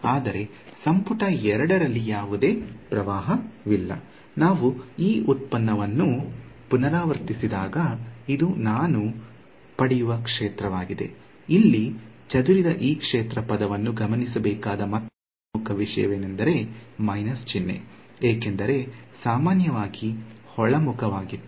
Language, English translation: Kannada, But there is no current in volume 2 so when I repeat this derivation this is exactly the field that I will get; another important think to note this scattered field term over here had a minus sign, because the normal was inward